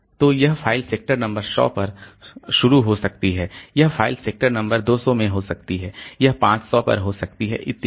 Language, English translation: Hindi, So, this file may be starting at say sector number 100, this file may be at sector number 200, this may be at 500 so like that